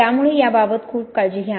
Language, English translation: Marathi, So be very careful about this